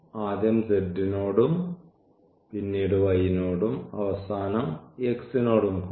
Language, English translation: Malayalam, So, first with respect to z, then with respect to y and at the end with respect to x